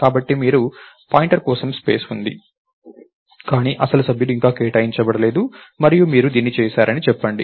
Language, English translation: Telugu, So, you have space for a pointer, but the actual members are not allocated yet and lets say you did this